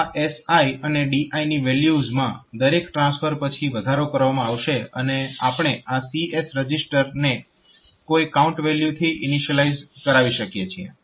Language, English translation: Gujarati, So, that this SI and DI values will be incremented after fd transfer and we can have this CS register initialize to the some count